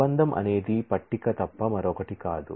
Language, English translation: Telugu, A relation is nothing but a table